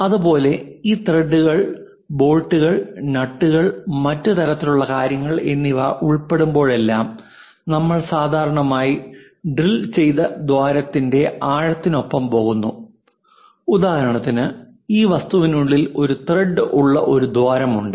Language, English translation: Malayalam, Similarly whenever these threads bolts nuts and other kind of things are involved, we usually go with depth of the drilled hole for example, for this object inside there is a hole in which you have a thread